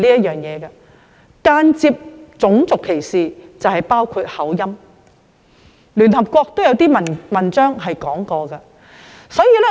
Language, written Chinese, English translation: Cantonese, 間接種族歧視包括口音，而聯合國亦曾發表文章提及這一點。, Indirect race discrimination includes discrimination on the ground of accent which was also mentioned in an Article published by the United Nations